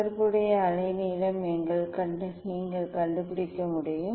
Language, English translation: Tamil, corresponding wavelength you can find out